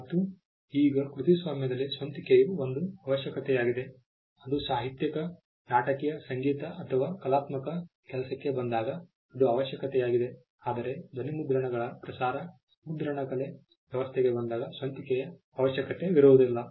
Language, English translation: Kannada, Now, originality is a requirement in copyright now it is a requirement when it comes to literary, dramatic, musical or artistic work whereas, originality is not a requirement when it comes to sound recordings broadcast typographical arrangements